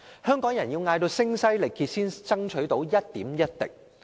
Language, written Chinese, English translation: Cantonese, 香港人要聲嘶力竭才爭取到一點一滴。, Hong Kong people can only get something bit by bit with large outcries